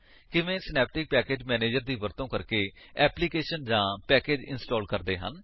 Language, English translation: Punjabi, How to install an application or package using Synaptic Package Manager